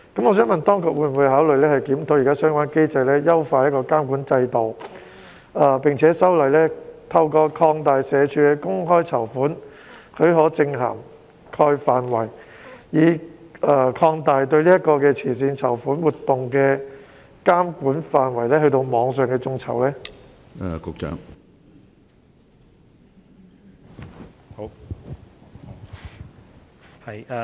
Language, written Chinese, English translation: Cantonese, 我想問，當局會否考慮檢討現行的相關機制，優化監管制度，並且修例，透過社署的"公開籌款許可證涵蓋範圍一般指引"擴大對慈善籌款活動的監管範圍，從而涵蓋網上眾籌？, My question is Will the authorities consider reviewing the existing mechanism to enhance the relevant regulation as well as revising the SWDs General Guidelines on the Scope of Public Subscription Permits to put online crowdfunding under the regulation of charitable fundraising?